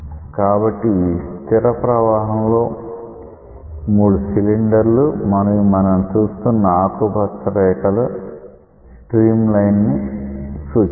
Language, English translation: Telugu, So, these are 3 cylinders in a steady flow and you can see that this green colored dye is giving an appearance of a stream line